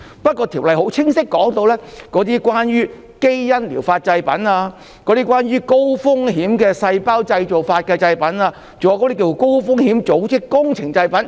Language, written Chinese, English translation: Cantonese, 不過，《條例草案》很清晰的指出，是關於基因療法製品、高風險的體細胞療法製品，還有高風險的組織工程製品。, However the Bill has pointed out very clearly that it is about gene therapy products high - risk somatic cell therapy products and high - risk tissue engineered products